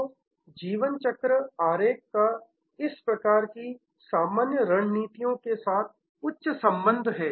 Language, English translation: Hindi, So, the life cycle diagram has a high correlation with this three types of generic strategies